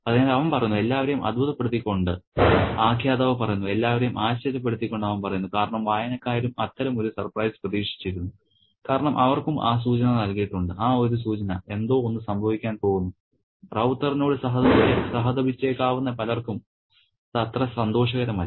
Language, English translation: Malayalam, So, he says, the narrator says to everyone's surprise, he says to everyone's surprise, because readers have been also anticipating such a surprise because they have been given that hint, that cue, that something is going to happen and it is not a pleasant surprise for many of them who might sympathize with Ravta